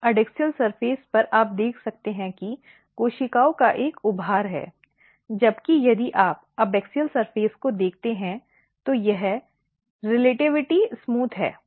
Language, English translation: Hindi, So, in adaxial surface you can sees that there is a bulges of the cells you can clearly see it is whereas, if you look the abaxial surface it is relativity smooth